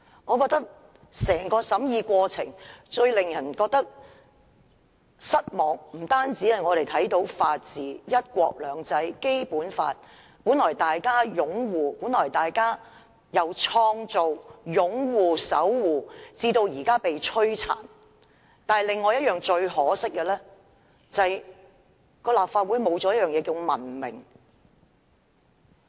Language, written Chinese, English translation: Cantonese, 我認為整個審議過程最令人失望的地方，是看到法治、"一國兩制"、《基本法》由大家一起創造、守護，及至現在被摧殘；另一個令人感到可惜的地方，是立法會失去了文明。, What I find the most disappointing in the entire vetting process is having witnessed the rule of law the principle of one country two systems and the Basic Law something we created and defended together being ravaged; and what I find regrettable is that the Legislative Council is no longer a civilized place